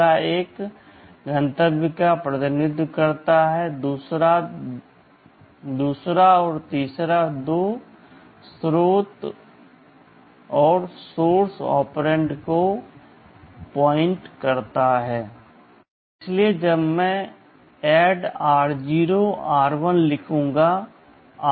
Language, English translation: Hindi, The first one represents the destination, the second and third indicates the two source operands